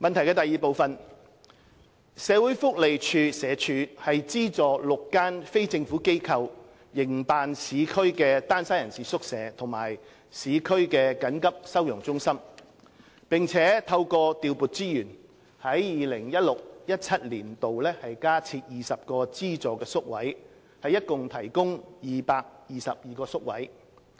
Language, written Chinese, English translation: Cantonese, 二社會福利署資助6間非政府機構營辦市區單身人士宿舍和市區緊急收容中心，並透過調撥資源，於 2016-2017 年度加設20個資助宿位，共提供222個宿位。, 2 The Social Welfare Department SWD subvents six non - governmental organizations NGOs to operate urban hostels for single persons and urban emergency shelters . With the increase of 20 places provided through reallocation of resources in 2016 - 2017 there are a total of 222 subvented places